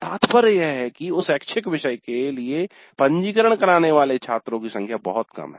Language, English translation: Hindi, The implication is that the number of students who have registered for that elective is very small